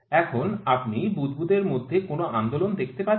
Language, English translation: Bengali, Do you find any movement in the bubble